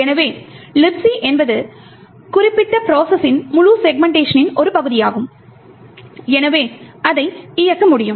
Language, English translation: Tamil, So, as we know LibC is part of the whole segment of the particular process and therefore it can execute